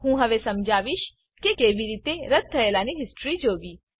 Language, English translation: Gujarati, I will now explain how to see the history of cancellation